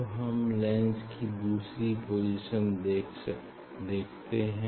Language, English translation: Hindi, now you try to find out the second position of the lens